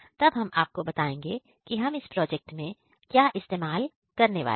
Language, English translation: Hindi, So, now we are going to show you what component we are going to use in our project